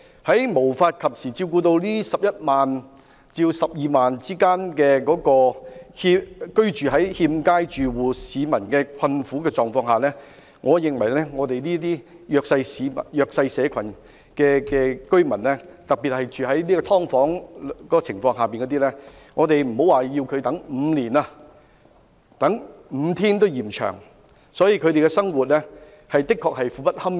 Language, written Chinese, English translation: Cantonese, 在無法及時照顧這11萬至12萬名居住在欠佳住所的困苦市民的情況下，我認為對於一些弱勢社群居民，特別是居住在"劏房"的居民來說，莫說要他們等待5年，即使等待5天也嫌長，因為他們的生活確實相當苦不堪言。, The plights of living in undesirable housing of the 110 000 to 120 000 people have not been addressed . In my view to these disadvantaged tenants particularly those living in subdivided units a five - day wait is already too long not to mention a wait of five years . They are really living in dire straits